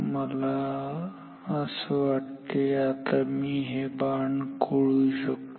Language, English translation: Marathi, So, I think now I can erase this arrows